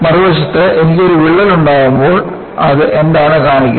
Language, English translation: Malayalam, On the other hand, when I have a crack, what does it show